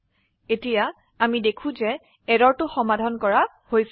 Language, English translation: Assamese, Now we see that the error is resolved